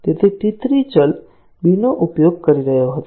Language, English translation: Gujarati, So, T 3 was using the variable b